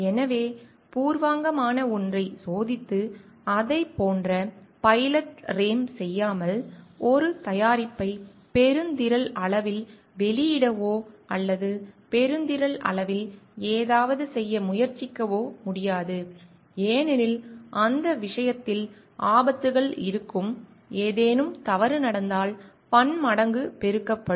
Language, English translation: Tamil, So, without testing something preliminary and doing a like pilot ram of it, we cannot launch a product in a mass scale or try to do something in a mass scale because, in that case the hazards will be, because in that case the hazards will be multiplied manifold if something wrong happens